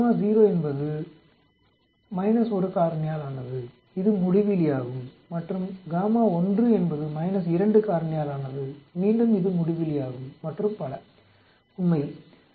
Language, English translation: Tamil, Gamma 0 is minus 1 factorial which is infinity and gamma 1 is minus 2 factorial again this is infinity and so on actually